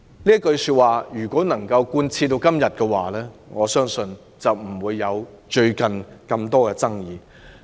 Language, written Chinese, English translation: Cantonese, "這句話如能貫徹至今，我相信就不會出現最近的種種爭議。, End of quote Had these words been honoured to the letter I believe the various controversies would not have arisen recently